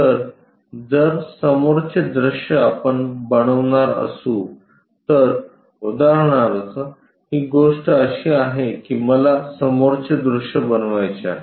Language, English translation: Marathi, So, front view if we are going to construct it for example, this is the thing what I would like to construct front view